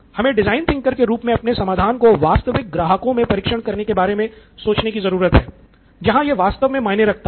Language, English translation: Hindi, So we as design thinkers need to think about testing it in real customer conditions where it really matters